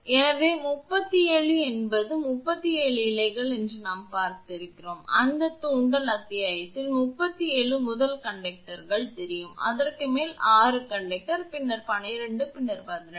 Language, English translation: Tamil, So, 37 means it is 37 strands, that inductance chapter we have seen know 37 first conductors, above that 6 conductor, then 12, then 18